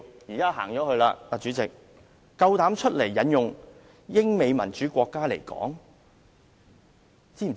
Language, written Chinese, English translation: Cantonese, 主席現在不在席，他膽敢引用英美民主國家的例子？, How dare he cite examples by referring to democratic countries like the United Kingdom and the United States?